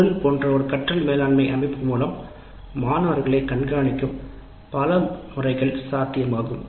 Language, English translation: Tamil, And if a learning management system like Moodle is used, many methods of tracking of students will be possible